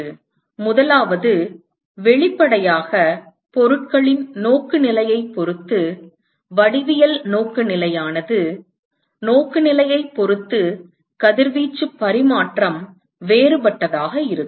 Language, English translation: Tamil, So, the first one is obviously, the geometric orientation depending upon the orientation of the objects the radiation exchange is going to be different, depending upon the orientation